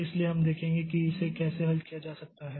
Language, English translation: Hindi, So, we'll see that how this can be solved